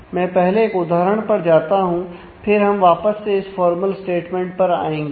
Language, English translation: Hindi, Let me just go through an example first and we can come back to this formal statement